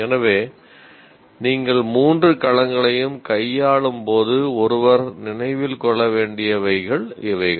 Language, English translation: Tamil, So these are the points that one needs to remember when you are dealing with the three domains